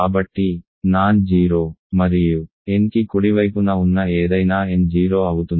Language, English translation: Telugu, So, up to n anything that is non zero and to the right of n, it is 0